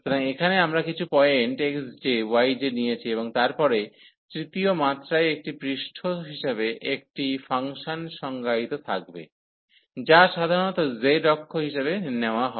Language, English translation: Bengali, So, here we have taken some point x j, y j and then there will be a function defined as a surface in the third dimension, which is usually taken as z axis